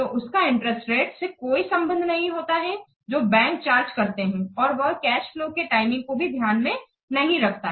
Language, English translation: Hindi, So it does not bear any relationship to the interest rates which are charged by the banks since it doesn't take into account the timing of the cash flows